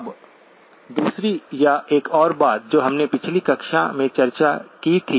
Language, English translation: Hindi, Now the second or one more addendum to the thing that we had discussed in the last class